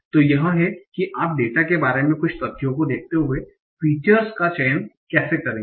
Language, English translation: Hindi, Now, so this is how you will select the features, given certain facts about the data